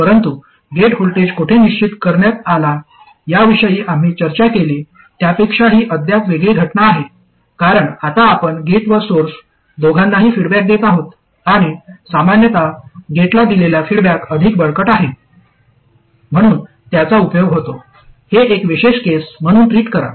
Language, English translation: Marathi, But this is still a different case from the earlier case we discussed where the gate voltage was fixed because now you are feeding back to both the gate and the source and typically the feedback to the gate is much stronger so it is useful to treat this as a special case